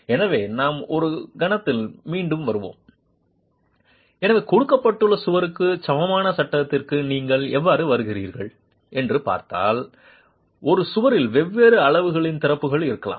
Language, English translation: Tamil, So, if you look at how do you arrive at the equivalent frame for a given wall, a wall may have openings of different sizes